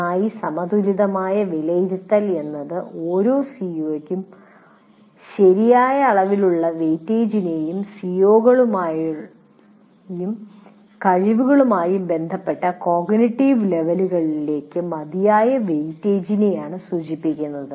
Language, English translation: Malayalam, Well balanced in the sense, right amount of weightage to each C O and adequate weight age to the cognitive levels associated with the C O's and competencies